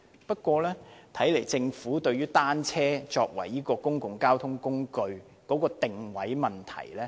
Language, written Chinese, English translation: Cantonese, 不過，看來政府不太認同單車作為公共交通工具的定位。, However it seems that the Government does not agree with positioning bicycles as a mode of transport